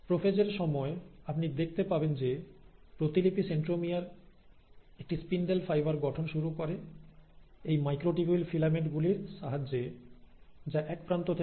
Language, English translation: Bengali, Also, during the prophase, you find that the duplicated centromere starts forming a spindle fibre which is with the help of these microtubule filaments which are extending from one end to the other